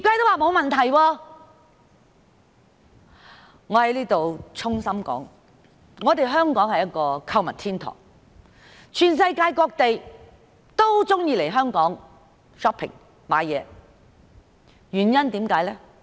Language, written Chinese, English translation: Cantonese, 我在此衷心指出，香港是一個購物天堂，世界各地的人也喜歡來香港購物。, Here let me say from the bottom of my heart that Hong Kong is a shoppers paradise where people from around the world love to do their shopping